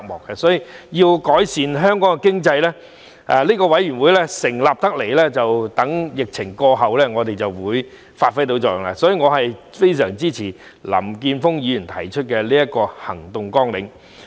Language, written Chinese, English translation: Cantonese, 因此，要改善香港經濟，相信這個委員會在疫情過後便會發揮作用，所以我非常支持林健鋒議員提出的行動綱領。, Since I believe the Committee will have a role to play in improving the Hong Kong economy after the epidemic I strongly support Mr Jeffrey LAMs proposal to formulate action plans